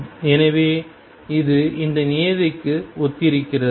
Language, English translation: Tamil, So, this correspond to this term